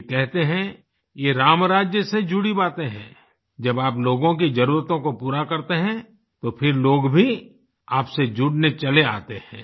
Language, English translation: Hindi, He states that these are matters related to Ram Rajya, when you fulfill the needs of the people, the people start connecting with you